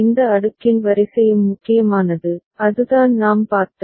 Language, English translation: Tamil, And the order of this cascading is also important that is what we had seen